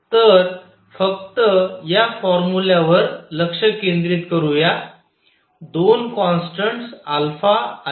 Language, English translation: Marathi, So, let us just focus on this formula, two constants alpha and beta